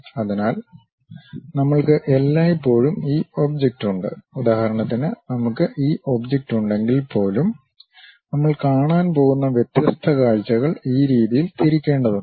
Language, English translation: Malayalam, So, we always have this object, for example, like if we have this object; we have to rotate this object in such a way that, different views we are going to see